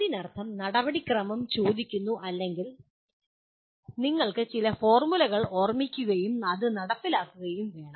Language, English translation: Malayalam, That means the procedure is asked or you have to remember certain sets of formulae and then put that and implement